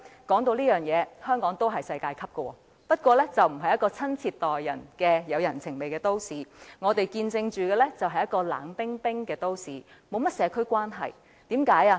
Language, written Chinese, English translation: Cantonese, 說到這點，香港也是世界級的，但它並非一個親切待人、有人情味的都市，而是一個冷冰冰的都市，沒有甚麼社區關係。, Speaking of this Hong Kong does have a world - class attribute it is not a city of hospitality or humanity but a city of cold indifference where community relations are minimal